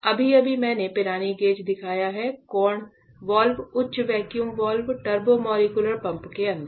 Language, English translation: Hindi, So, just now I have shown you the Pirani gauge; the right angle valve, the high vacuum valve, the turbo molecular pump inside